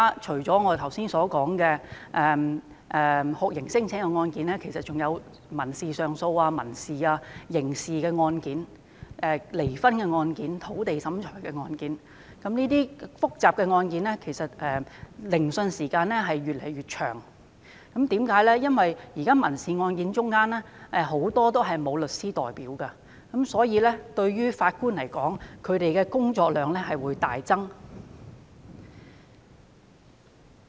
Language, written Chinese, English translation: Cantonese, 除了我們剛才提到的酷刑聲請個案之外，其實還有民事上訴、刑事、離婚、土地審裁等案件，這些複雜案件的聆訊時間越來越長，因為現時許多民事案件的訴訟人都沒有律師代表，令法官的工作量因而大增。, Apart from cases of torture claims mentioned earlier there are in fact civil appeal criminal divorce land dispute cases etc . The hearing time of these complicated cases are ever - increasing since many litigants in civil cases do not have legal representation nowadays thereby causing a significant increase in the workload of Judges